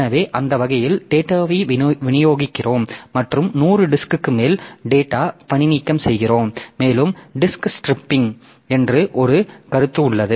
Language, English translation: Tamil, So, that way we distribute the data and have data redundancy over the 100 disk and there is a concept called disk striping